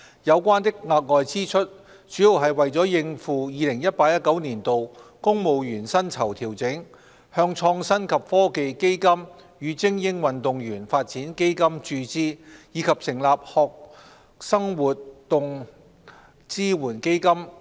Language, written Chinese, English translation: Cantonese, 有關的額外支出，主要是為了應付 2018-2019 年度公務員薪酬調整、向創新及科技基金與精英運動員發展基金注資，以及成立學生活動支援基金。, It is mainly for meeting additional expenses arising from the 2018 - 2019 Civil Service pay adjustment injections into the Innovation and Technology Fund and the Elite Athletes Development Fund as well as establishment of the Student Activities Support Fund